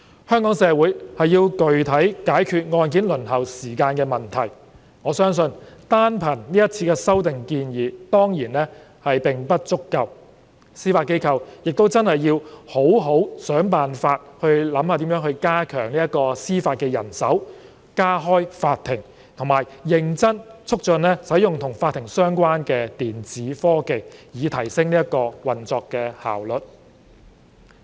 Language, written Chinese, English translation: Cantonese, 香港社會要具體解決案件輪候時間的問題，我相信單憑這次修訂建議當然並不足夠，司法機構亦要好好想辦法加強司法人手、加開法庭，以及認真促進使用與法庭相關的電子科技，以提升運作效率。, I believe that the currently proposed amendments alone are not enough to address the issue related to the waiting time for case handling in Hong Kong society . The Judiciary should also explore ways to strengthen the judicial manpower hold more court sessions and earnestly promote the use of electronic technology in relation to court proceedings to enhance operational efficiency